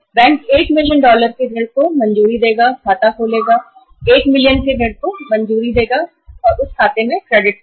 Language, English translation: Hindi, Bank will sanction a loan of 1 million dollars, open an account, sanction that loan of 1 million dollars and credit that amount in that account